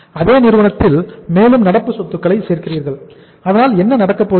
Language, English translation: Tamil, And you further add up more current assets in the same firm so what is going to happen